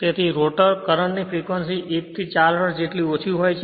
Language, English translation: Gujarati, So, that the frequency of the rotor current is as low as 1 to 4 hertz right